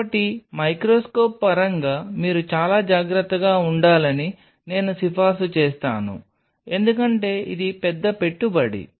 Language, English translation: Telugu, So, I will recommend in terms of the microscope you be very careful because this is a big investment